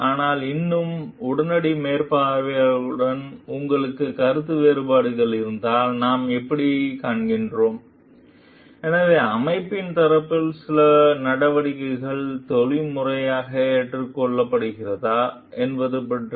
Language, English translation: Tamil, But still, what we find like if you have like a disagreement with the immediate supervisor, so about whether some action on the part of the organization is ethically acceptable